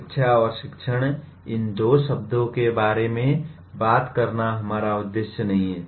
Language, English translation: Hindi, That is not our intention in talking about these two words education and teaching